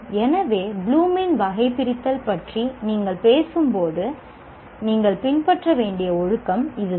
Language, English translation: Tamil, So that is the discipline that we need to follow when you are talking about this Bloom's taxonomy